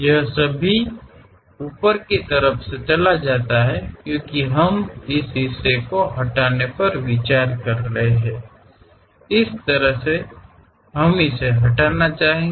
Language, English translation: Hindi, It goes all the way to top; because we are considering remove this part, in that way we would like to remove it